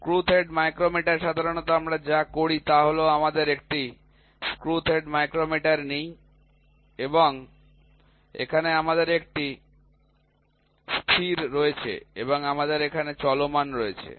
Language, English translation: Bengali, Screw thread micrometer generally what we do is we take a screw thread micrometer and here we have a fixed one and here we have a moving one